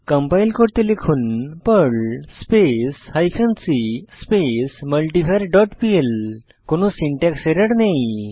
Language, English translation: Bengali, Now compile the file by typing perl hyphen c multivar dot pl There is no syntax error